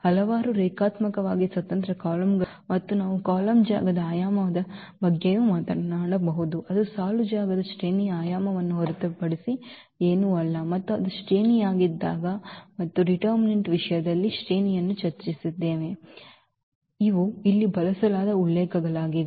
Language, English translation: Kannada, There was a number of linearly independent columns, and we can also talk about the dimension of the column space that is nothing but the rank dimension of the row space that also is the rank and we have also discussed the rank in terms of the determinants